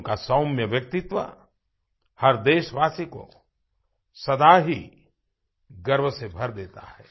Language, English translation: Hindi, His mild persona always fills every Indian with a sense of pride